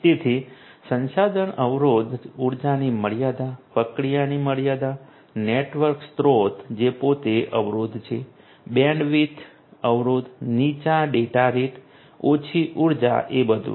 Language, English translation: Gujarati, So, resource constrained, energy constraint, processing constraint the network resource itself is constrained, bandwidth constraint, low data rate, low energy